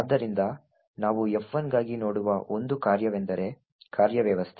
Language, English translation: Kannada, So, one function that we will look at for F1 is the function system